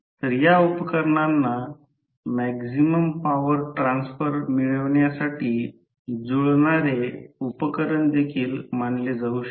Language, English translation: Marathi, So, these devices can also be regarded as matching devices used to attain maximum power transfer